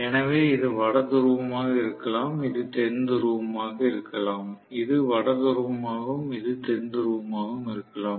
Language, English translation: Tamil, So maybe this is North Pole, this is South Pole, this is North Pole and this is South Pole